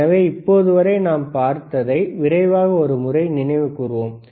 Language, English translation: Tamil, So, what we have seen until now, let us quickly recall right